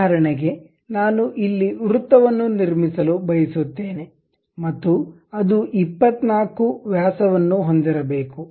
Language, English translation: Kannada, For example I would like to construct a circle here and that supposed to have a units of 24 diameters